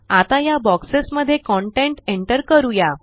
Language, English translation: Marathi, Lets enter content in these boxes now